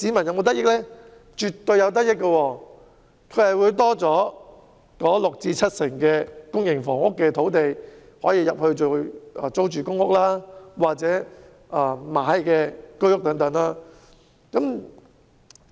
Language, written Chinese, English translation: Cantonese, 他們絕對會有得益，因為新增的六成至七成公營房屋土地，可以建成為租住公屋或出售居屋。, They will definitely be benefited because the additional 60 % to 70 % of sites can be used for building public rental housing or HOS flats for sale